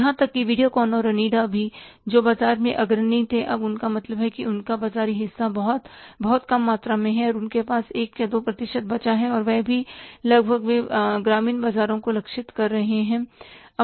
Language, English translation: Hindi, Even the Videocon and Onida which were the leaders in the market now they have become, means their market share is just very, very meager amount of the share is left with them, 1 or 2 percent and almost that too they are targeting to the rural markets